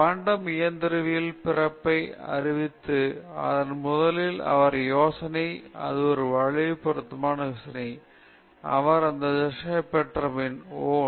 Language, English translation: Tamil, So, this announced the birth of quantum mechanics, but first he got the idea it was just a curve fitting idea; he just got this dharshana, oh